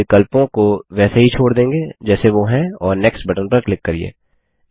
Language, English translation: Hindi, Here, we will leave the options as they are and click on Next